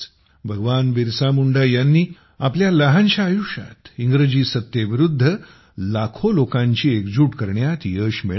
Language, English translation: Marathi, Bahgwan BirsaMunda had united millions of people against the British rule in his short lifetime